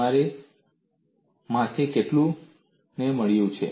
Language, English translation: Gujarati, How many of you have got it